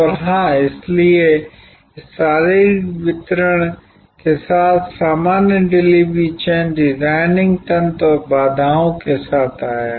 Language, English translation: Hindi, And of course, therefore along with this physical delivery came with the normal delivery chain designing mechanisms and constraints